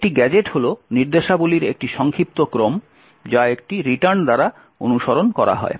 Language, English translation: Bengali, Now a gadget is a short sequence of instructions which is followed by a return